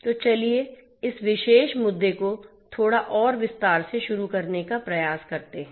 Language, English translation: Hindi, So, let us try to begin into this particular issue in little bit more detail